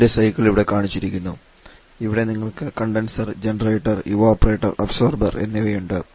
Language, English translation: Malayalam, The cycle is shown here; here you have the condenser generated evaporator and observers are here